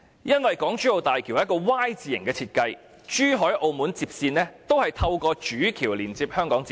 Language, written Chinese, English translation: Cantonese, 因為港珠澳大橋是一個 "Y" 字型設計，珠海和澳門接線也會透過主橋連接到香港接線。, I say this because the HZMB has a Y - shape design in which the Zhuhai link road and Macao link road will be connected to the HKLR through the Main Bridge